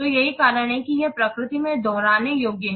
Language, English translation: Hindi, So, that's why it is repeatable in nature